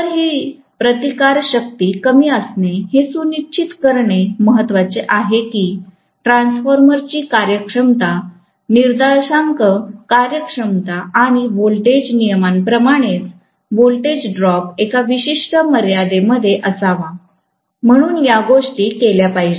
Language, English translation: Marathi, So, this resistance being low is important to make sure that the performance index of the transformer, like efficiency and voltage regulation, that is the voltage drop should be contained within a particular limit, so these things should be done